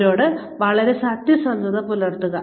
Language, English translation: Malayalam, Be very honest with them